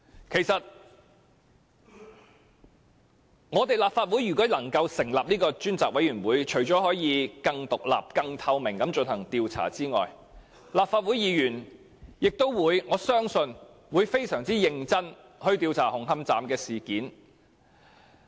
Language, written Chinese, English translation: Cantonese, 如果立法會能夠成立專責委員會，除了可以更獨立、更透明地進行調查外，我相信立法會議員會非常認真地調查紅磡站事件。, If the Legislative Council is able to set up a select committee I believe that not only will there be a more independent and transparent inquiry but Members of this Council will also inquire into the Hung Hom Station incident in a very serious manner